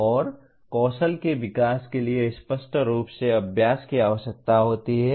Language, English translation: Hindi, And development of the skills requires practice obviously